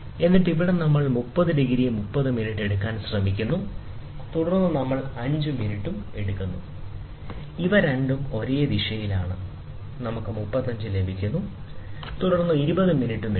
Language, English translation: Malayalam, And then, here we try to take 30 degrees 30 minutes, and then we also take 5 minutes both are in the same direction, so we get 35, and then we also take 20 minutes